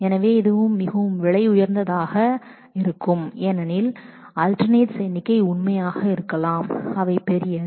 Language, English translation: Tamil, So, this could be very expensive because the number of alternates could be really really large